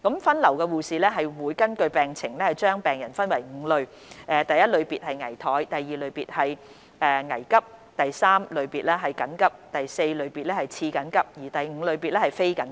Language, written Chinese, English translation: Cantonese, 分流護士會根據病情將病人分為5類，包括第一類別、第二類別、第三類別、第四類別及第五類別。, Patients are classified into five categories based on their clinical conditions namely Triage Category I critical Triage Category II emergency Triage Category III urgent Triage Category IV semi - urgent and Triage Category V non - urgent